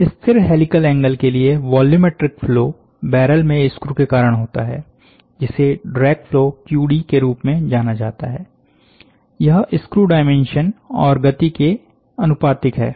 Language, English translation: Hindi, So, the extrusion for a constant helical angle, the volumetric flow causes, caused by the screw in the barrel known as a drag flow, QD is proportional to the screw dimension and this speed